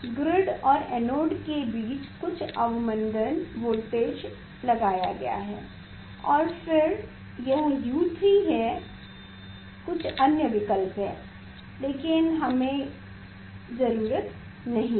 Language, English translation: Hindi, some small de accelerated voltage is given between grid and the anode between the grid and the anode and then this is U 3 there are some other options also there, but we do not need